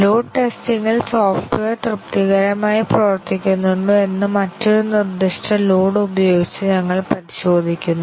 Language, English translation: Malayalam, In load testing, we just check whether a different specified load the software performs satisfactorily